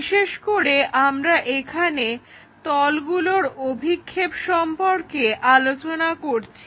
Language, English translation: Bengali, Especially, we are covering projection of planes